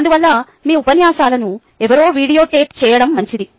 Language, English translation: Telugu, therefore, its good to have somebody videotape your lectures